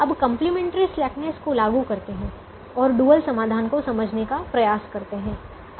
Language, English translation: Hindi, now let's apply the complimentary slackness and try to understand the dual solution